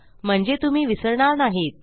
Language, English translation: Marathi, So you wont forget them